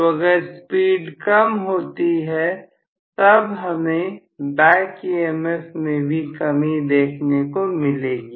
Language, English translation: Hindi, So, if speed comes down, then I am going to have back EMF is also going to come down